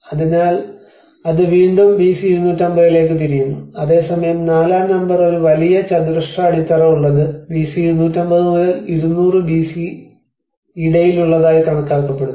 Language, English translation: Malayalam, So, that is again goes back to 250 BC\'eds whereas number 4 which is supposed a huge square base which is between 250 to 200 BC\'eds